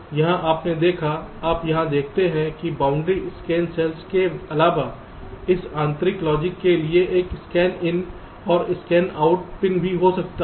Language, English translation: Hindi, you saw, you see here that in addition to the boundary scan cells there can be also a scan in and scan out pin for this internal logic